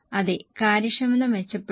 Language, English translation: Malayalam, Yes, efficiency has improved